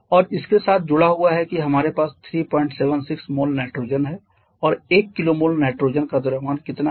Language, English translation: Hindi, 76 moles of nitrogen and how much is the mass of one kilo mole of nitrogen